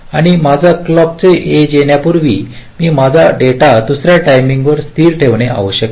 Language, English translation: Marathi, and after my clock edge can come, i must continue to keep my data stable for another time